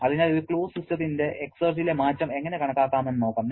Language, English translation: Malayalam, So, let us see how we can calculate the exergy change of a closed system